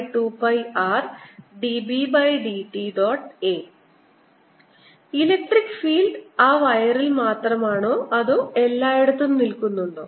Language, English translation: Malayalam, does it mean that electric field is only in that wire or does it exist everywhere